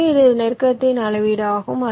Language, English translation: Tamil, ok, so this is the measure of closeness